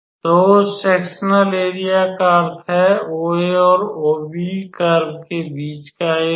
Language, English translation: Hindi, So, that sectorial area means the area bounded between OA and OB and this curve